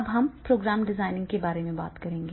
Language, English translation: Hindi, Now we come to the program design